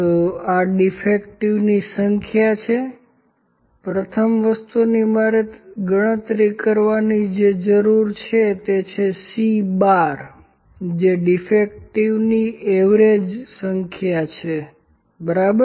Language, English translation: Gujarati, So, this is number of defects, first thing I need to calculate is C bar, C bar is the average number of defects, ok